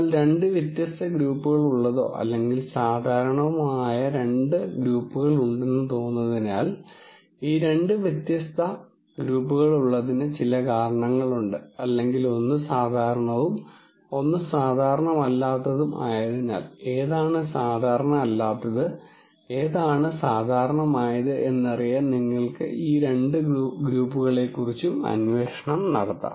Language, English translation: Malayalam, But since it seems like there are two distinct groups of data either both or normal but there is some reason why there is this two distinct group or maybe one is normal and one is not really normal, then you can actually go on probe of these two groups which is normal which is not normal and so on